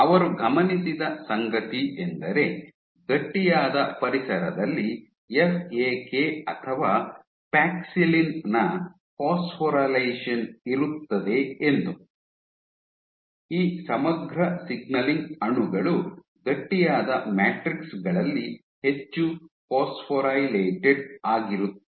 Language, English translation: Kannada, So, what they observed was on stiffer environments you had phosphorylation of FAK or paxillin, these integrin signaling molecules were much more phosphorylated on stiffer matrices